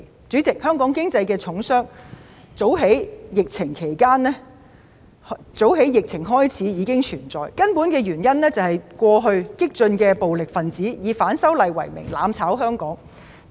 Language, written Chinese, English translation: Cantonese, 主席，香港經濟的重傷早於疫情開始已經存在，根本原因是過去激進暴力分子以反修例為名，"攬炒"香港。, President our economy has already suffered serious setbacks before the outbreak of the epidemic . Violent radicals have in the name of opposition to the proposed legislative amendments caused mutual destruction in Hong Kong